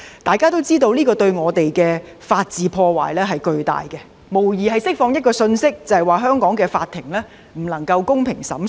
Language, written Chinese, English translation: Cantonese, 大家也知這對我們的法治有巨大破壞，無疑是釋放一個信息，即香港法庭不能公平地作出審訊。, Members know that the incident has inflicted serious damage on the rule of law of Hong Kong for it has undoubtedly conveyed the message that the Courts of Hong Kong cannot conduct fair trials